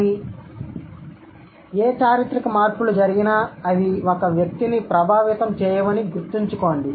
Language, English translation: Telugu, But remember, whatever historical changes happen, they do not affect to an individual